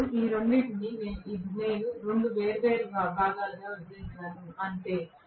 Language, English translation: Telugu, Now, both of them I have bifurcated into 2 different portions, that is all